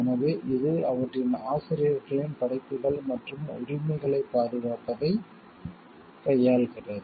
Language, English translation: Tamil, So, it deals with the protection of the works and rights of their authors